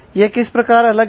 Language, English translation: Hindi, And how they are different